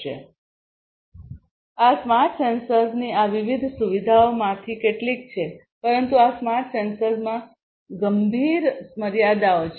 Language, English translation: Gujarati, So, these are some of these different features of the smart sensors, but these smart sensors have severe limitations